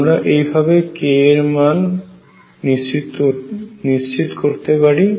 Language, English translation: Bengali, And also we want to find how to fix k